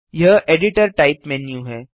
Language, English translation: Hindi, This is the editor type menu